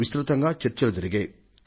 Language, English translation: Telugu, Many discussions have been held on it